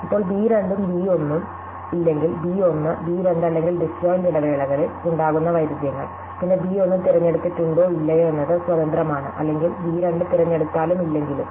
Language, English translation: Malayalam, Now, if b 2 and b 1 are not in conflict that is b 1 and b 2 or in disjoint intervals, then whether or not b 1 is chosen is independent or whether not b 2 is chosen